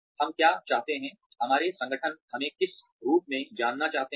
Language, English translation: Hindi, What do we want, our organization to know us as